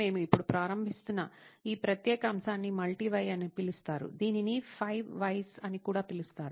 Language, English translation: Telugu, This particular topic we are starting now is called Multi Why, also popularly known as 5 Whys